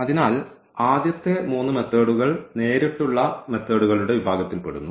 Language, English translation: Malayalam, So, the first three methods falls into the category of the direct methods